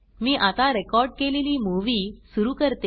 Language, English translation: Marathi, Let me now play the recorded movie